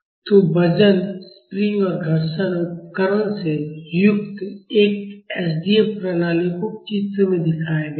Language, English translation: Hindi, So, an SDF system consisting of a weight, spring, and friction device is shown in the Figure